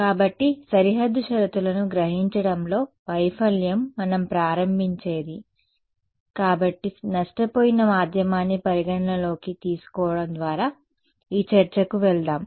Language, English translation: Telugu, So, the failure of absorbing boundary conditions is what we start with right; so, let us jump in to this discussion by starting by considering a lossy medium ok